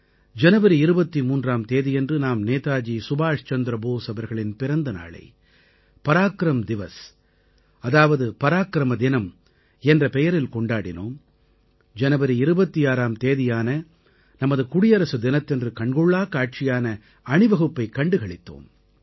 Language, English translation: Tamil, We celebrated the 23rd of January, the birth anniversary of Netaji Subhash Chandra Bose as PARAKRAM DIWAS and also watched the grand Republic Day Parade on the 26th of January